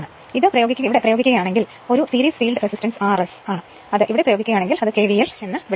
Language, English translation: Malayalam, So, and if you apply your and this is a series field resistance R S right and if you apply here also your what you call that KVL